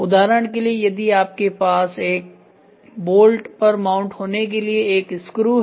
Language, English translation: Hindi, For example, if you have a screw to be mounted on to a bolt screw